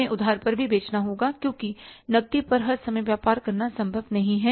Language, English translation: Hindi, We have to sell on the credit also because it's not possible to do the business all the times on cash